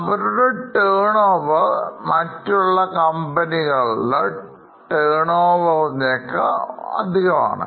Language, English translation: Malayalam, They have much more turnover than other companies